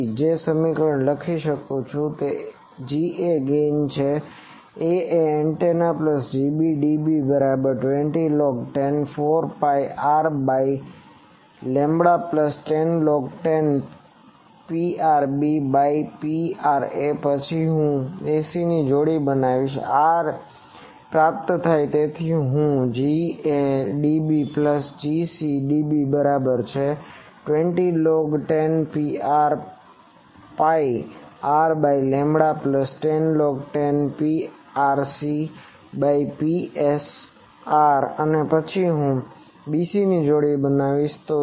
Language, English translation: Gujarati, So, the equation I can write is G a dB G a is the gain of a antenna plus G b dB is equal to 20 log 10 4 pi R by lambda plus 10 log 10 P rb by P ra, then I will make ‘ac’ pair this is transmitted this is received